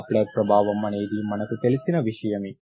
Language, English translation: Telugu, Doppler effect is something that you are familiar with